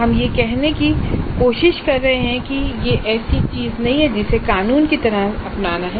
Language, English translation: Hindi, We are not trying to say that this is something which is to be legislated